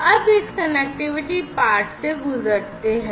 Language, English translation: Hindi, So, let us go through this connectivity part now